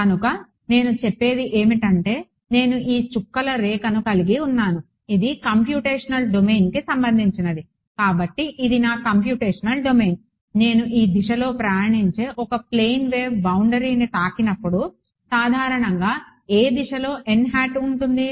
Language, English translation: Telugu, So, what I am saying is that I have this dotted line which is the computational domain this is the computational domain I have a plane wave that is traveling in this direction hitting the hitting the boundary normally which direction is n hat